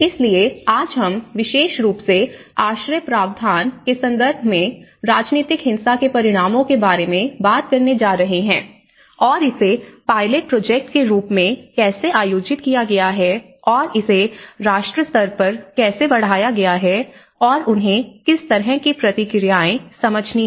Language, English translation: Hindi, So, today we are going to talk about the consequences of the political violence at specially in terms of shelter provision and how it has been organized and how it has been conducted as a pilot project and how it has been scaled up at a nation level and what kind of responses they have you know able to understand